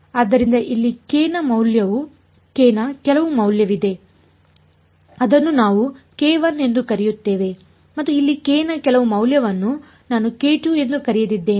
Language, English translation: Kannada, So, there is some value of k over here we called it k 1 and some value of k over here I called it k 2